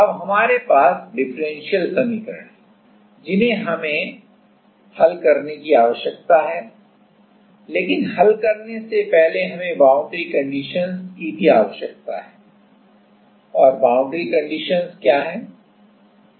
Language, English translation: Hindi, Now, we have the differential equation we need to solve it, but before solving we need the boundary conditions also and what are the boundary conditions